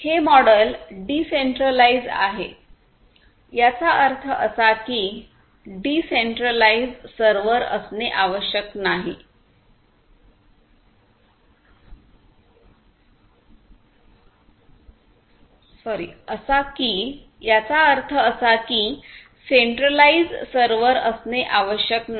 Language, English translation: Marathi, So, this model is decentralized; that means, there is no requirement for having a centralized server